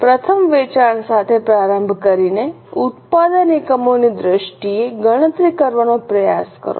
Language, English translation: Gujarati, Firstly starting with the sales try to compute the production budget in terms of units